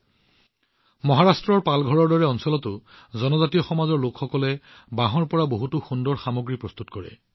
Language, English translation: Assamese, Even in areas like Palghar in Maharashtra, tribal people make many beautiful products from bamboo